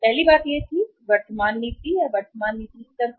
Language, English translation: Hindi, First thing was that current policy, current policy; at the current policy level